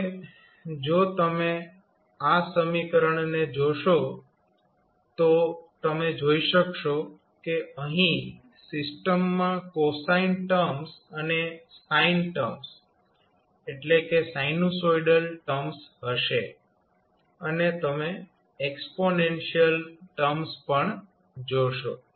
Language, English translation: Gujarati, Now, if you see this equation the expression for it you will say that the system will have cosine terms and sine terms that is sinusoidal terms you will see plus exponential terms